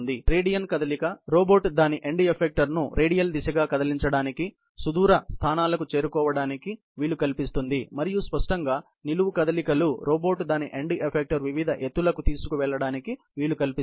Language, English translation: Telugu, The radial movement, which enables the robot to move its end effector radially, to reach distant points and obviously, the vertical movements, which enables the robot to take its end effector to different heights